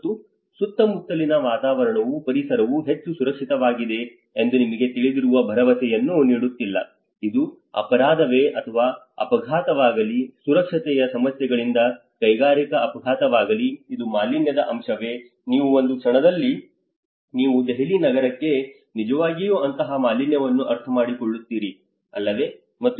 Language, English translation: Kannada, And also the surrounding atmosphere the environment is not also giving that guarantee that that is more safe you know, whether it is a crime, whether it is an accident, whether it is an industrial accident because of safety issues, whether it is a pollution aspect like in the moment you come to the city of Delhi you actually understand that kind of pollution, right